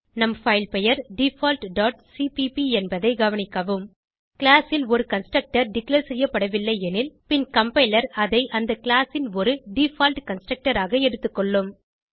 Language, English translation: Tamil, Note that our filename is default dot cpp If a constructor is not declared in the class, Then the compiler assumes a default constructor for the class